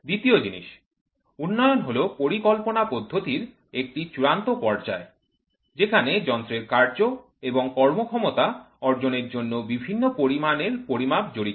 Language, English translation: Bengali, The second thing is development is a final stage of the design procedure involving the measurement of various quantities obtaining to operation and performance of the device being developed